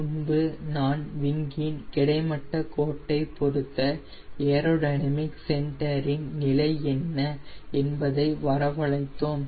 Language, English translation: Tamil, now, earlier we derived what was if the position of aero dynamic center with respect to wing horizontal line